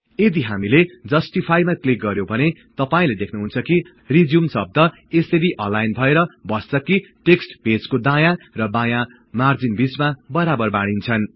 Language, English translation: Nepali, If we click on Justify, you will see that the word RESUME is now aligned such that the text is uniformly placed between the right and left margins of the page